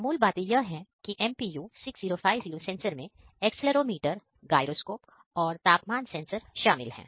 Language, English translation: Hindi, So, the basic things are that MPU 6050 sensor consists of accelerometer, gyroscope and temperature sensor